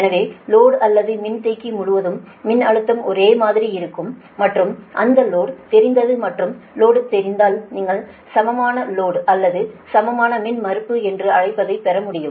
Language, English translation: Tamil, so voltage across the load or across the capacitor is same, right, and this load is known and this load is known that equivalent your, what you call equivalent load or equivalent impudence, can be obtained